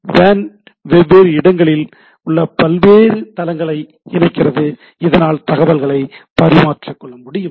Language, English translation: Tamil, WANs connects various sites at different geographic locations so that information can be exchanged